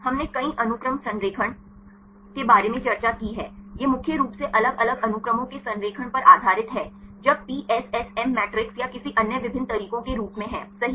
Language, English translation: Hindi, We discussed about multiple sequence alignment right this mainly based on the alignment of different sequences right when in form of either PSSM matrices or any other different methods right